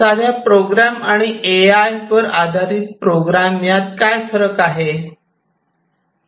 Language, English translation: Marathi, So, what is the difference between a program, which uses AI and which does not